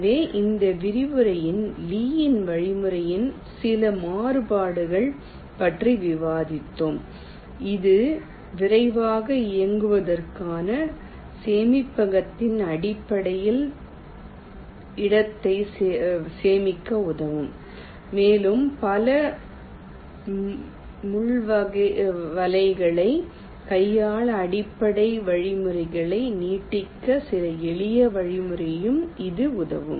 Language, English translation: Tamil, so i think, ah, in this lecture we have discussed ah, some of the variations of lees algorithm which can help it to save space in terms of storage, to run faster, and also some simple way in which you can extend the basic algorithm to handle multi pin nets